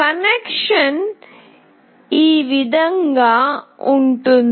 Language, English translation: Telugu, This is how the connection goes